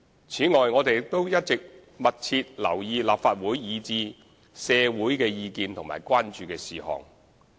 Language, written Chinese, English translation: Cantonese, 此外，我們亦一直密切留意立法會及社會的意見和關注事項。, In addition we have also been paying close attention to the various comments and concerns of the Legislative Council and society